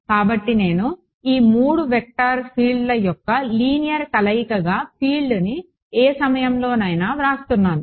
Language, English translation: Telugu, So, I am writing the field at any point as a linear combination of these 3 vector fields